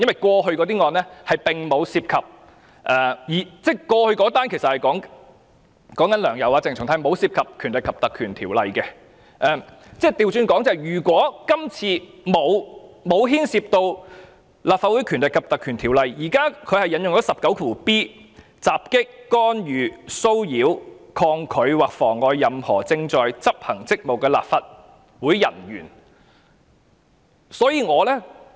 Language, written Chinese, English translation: Cantonese, 過去的案件，即"梁游"案及鄭松泰案並沒有涉及《條例》，而今次律政司卻引用《條例》第 19b 條作出檢控，即："襲擊、干預、騷擾、抗拒或妨礙任何正在執行職責的立法會人員"。, In the past case of Sixtus LEUNG and YAU Wai - ching and that of CHENG Chung - tai PP Ordinance was not involved whereas in this case prosecution was instituted under section 19b of PP Ordinance which reads assaults interferes with molests resists or obstructs any officer of the Council while in the execution of his duty